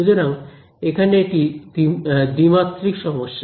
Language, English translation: Bengali, So, this is a 2D problem over here ok